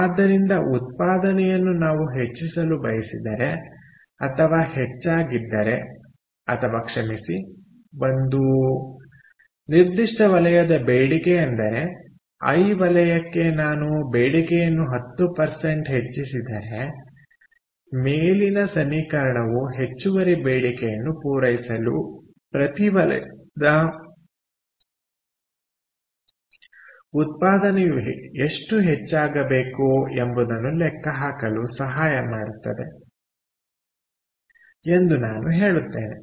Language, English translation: Kannada, i would say: if demand for a certain sector, for sector i, increases by, say, ten percent, the above equation will help us calculate how much the production of each sector needs to increase to meet the additional demand